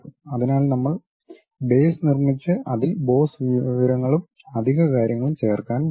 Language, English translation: Malayalam, So, we have prepared base on that we are going to add boss information, extra things